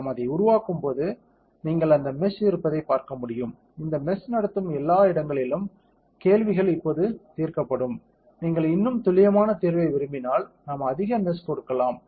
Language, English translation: Tamil, So, when we build it you can see that meshes right; wherever these meshes are conducting all along these lines questions will be solved now if you want a more accurate solution, we can give a higher meshing